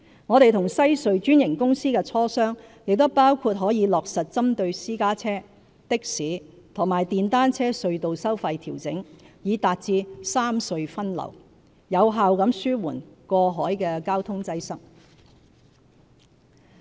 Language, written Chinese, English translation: Cantonese, 我們和西隧專營公司的磋商亦包括可以落實針對私家車、的士和電單車隧道收費調整，以達致三隧分流，有效地紓緩過海交通擠塞。, Our discussions with the franchisee of WHC also include the adjustment of tunnel tolls for private cars taxis and motorcycles to achieve redistribution of traffic among the three tunnels so as to effectively alleviate cross - harbour traffic congestion